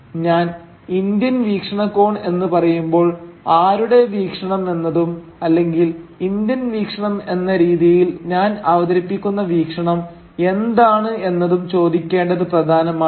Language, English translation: Malayalam, Now when I say the “Indian” perspective, it is important to ask the question whose perspective or what is that perspective which I am identifying here as the Indian perspective